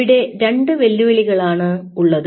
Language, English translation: Malayalam, there are two challenges